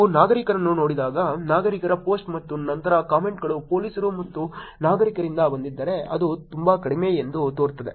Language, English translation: Kannada, As you look at citizens, if citizens' post and then the comments are from police and citizens it is seems to be much much lower